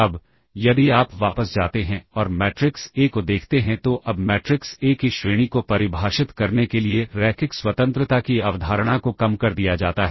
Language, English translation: Hindi, Now, if you go back and look at the matrix A now one reduces concept of linear independence to define the rank of the matrix A